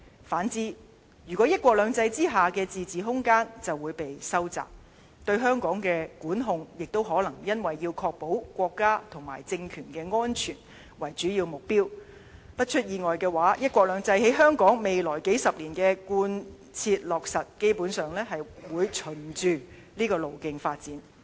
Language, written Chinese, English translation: Cantonese, 反之，"一國兩制"之下的自治空間就會被收窄，對香港的管控亦都可能以確保國家及政權安全為主要目標，一旦出現意外，"一國兩制"於香港未來數十年的貫切落實，基本上會循着這個路徑發展。, Otherwise the autonomy under one country two systems will shrink and the Central Authorities will probably shift the emphasis on the control of Hong Kong to the protection of national and political security . Should any unexpected situation arises the implementation of one country two systems in Hong Kong will basically move into the latter direction over the upcoming decades